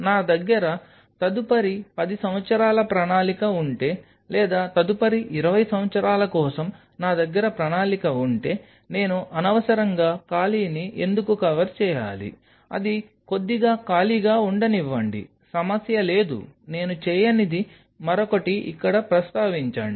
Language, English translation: Telugu, If I have a plan for next 10 years down the line or I have a plan for next 20 years down the line, why I should unnecessarily cover of a space let it be there let it remain slightly empty no problem another thing what I did not mention here